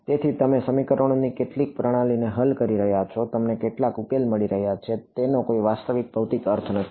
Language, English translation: Gujarati, So, you are you are solving some system of equations you are getting some solution it has no real physical meaning